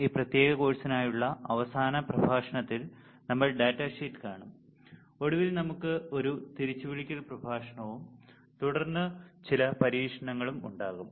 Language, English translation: Malayalam, These second last lecture for this particular course, next lecture we will see the data sheet, and finally, we will have a recall lecture follow followed by some experiments